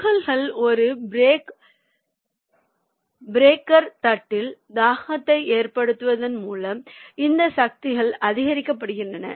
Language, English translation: Tamil, these forces are increased by causing the particles to impact upon an anvil or breaker plate